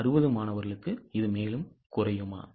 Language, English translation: Tamil, For 160 will it fall further